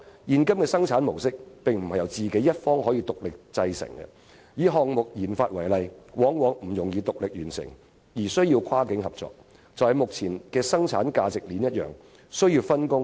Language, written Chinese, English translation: Cantonese, 現今的生產模式確實不能由自己一方獨力製成，以項目研發為例，往往不易獨力完成，需要跨境合作，一如目前的生產價值鏈般，必須分工。, Under the existing production mode one is honestly unable to produce a product all by oneself . In the case of product research and development for example it is very often not an easy task to complete this all by oneself and cross - boundary cooperation is required . This is the same case with production value chains in present days